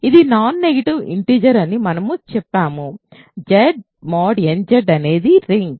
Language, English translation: Telugu, So, it is a non negative integer then we said Z mod n Z is a ring right